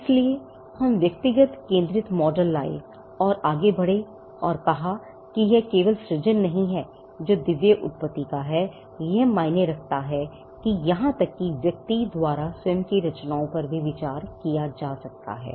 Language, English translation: Hindi, So, we came to an individual centric model where we moved forward and said that it is not just creation that is of divine origin, that matters even the creations by the individual itself could be a thing to be considered